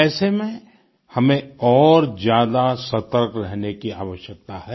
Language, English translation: Hindi, In such a scenario, we need to be even more alert and careful